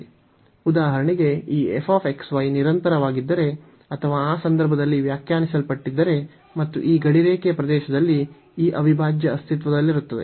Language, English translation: Kannada, So, for example, if this f x, y is continuous or defined and bounded in that case also this integral will exist on this rectangular region